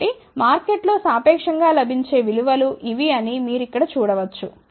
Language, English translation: Telugu, So, you can see here these are the values, which are relatively available in the market